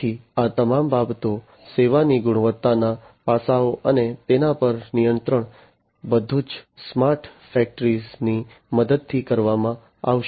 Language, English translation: Gujarati, So, all of these things, the service quality aspects, and the control of them are all going to be performed with the help of smart factories in the smart factory environment